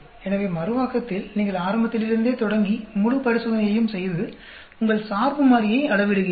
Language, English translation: Tamil, So, in Reproducibility you are starting from the beginning, and doing the whole experiment, and measuring your dependent variable